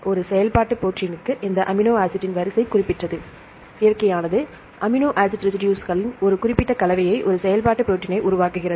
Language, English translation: Tamil, For a functional protein, the order of this amino acid is specific, nature selects a specific combination of amino acid residues to form a functional protein